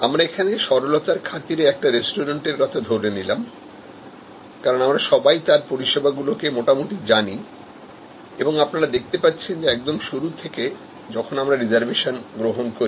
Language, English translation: Bengali, So, we have again use this restaurant for simplicity, because we have all familiar with such a service and you can see here, that right from the beginning where we take reservation